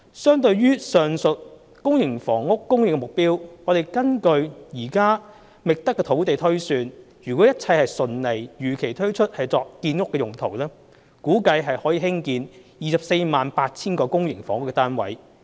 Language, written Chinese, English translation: Cantonese, 相對於上述公營房屋供應目標，根據現時覓得的土地推算，若一切順利如期推出土地作建屋用途，估計可興建 248,000 個公營房屋單位。, In the light of the aforementioned supply target for public housing as per the amount of land sites identified as of now if all sites are smoothly delivered on time for housing development it is estimated that 248 000 units of public housing can be constructed